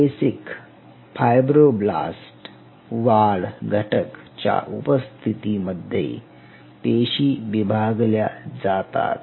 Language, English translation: Marathi, It is known in the presence of basic fibroblous growth factors, cells will divide